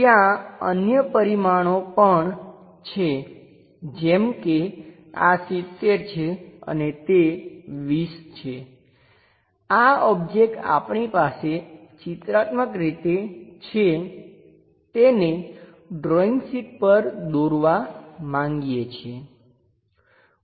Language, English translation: Gujarati, There are other dimensions like this is 70 and that is 20, this object we would like to pictorially view draw it on the drawing sheet